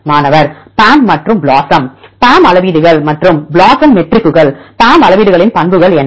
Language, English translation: Tamil, PAM metrics and the BLOSUM metrics; so what are the characteristics of PAM metrics